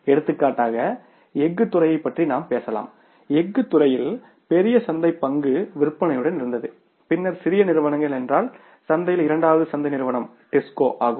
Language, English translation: Tamil, In the steel sector, large larger market share was with the sale and then were small companies, means the second market company in the market was disco